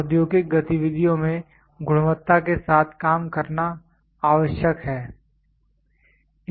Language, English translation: Hindi, It is necessary to work with quality in the industrial activities